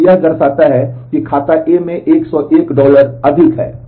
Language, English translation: Hindi, But it shows that 101 dollar more in account A